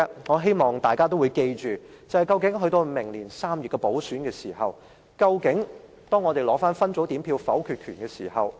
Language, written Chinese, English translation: Cantonese, 我希望大家緊記，在明年3月完成補選後，民主派將會取回分組點票否決權。, I hope Members can bear in mind that after the completion of the by - election in March next year the pro - democracy camp will regain its vetoing power at separate voting